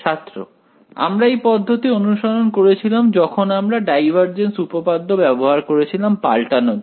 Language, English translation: Bengali, We followed this approach where we use the divergence theorem to convert it